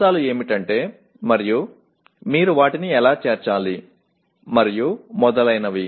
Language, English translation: Telugu, What are the elements and how do you include them and so on